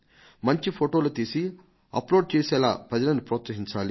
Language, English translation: Telugu, People should be encouraged to take the finest photographs and upload them